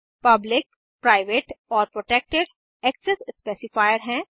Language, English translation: Hindi, Public, private and protected are the access specifier